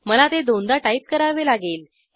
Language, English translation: Marathi, I have to type it twice